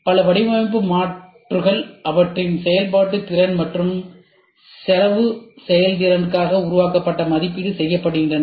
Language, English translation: Tamil, So, several design alternatives are generated and evaluated for their function ability and cost effectiveness